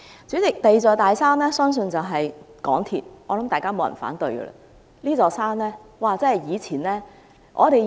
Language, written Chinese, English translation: Cantonese, 主席，第二座"大山"相信就是港鐵公司，我相信大家不會反對。, President I believe MTRCL should be the second big mountain and I bet no one would raise an objection